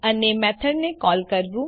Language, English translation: Gujarati, And To call a method